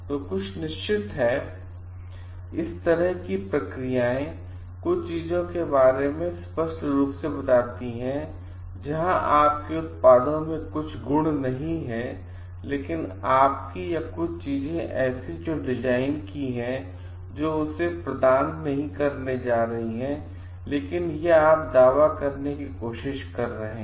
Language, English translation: Hindi, So, there are certain processes like, by telling outright lies about certain things where certain qualities are not there in your products, but your or certain things which you designed is not going to provide to, but you are trying to claim it